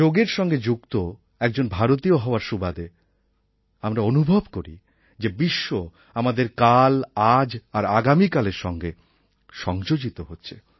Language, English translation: Bengali, As an Indian, when we witness the entire world coming together through Yoga, we realize that the entire world is getting linked with our past, present and future